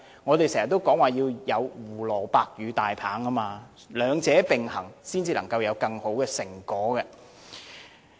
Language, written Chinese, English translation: Cantonese, 我們經常說要有胡蘿蔔與大棒，兩者並行才會有更好的成果。, We always mention using a carrot and stick strategy and we need to have both to get a better result